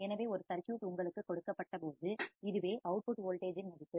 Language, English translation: Tamil, So, this is the value of the output voltage when the circuit is given to you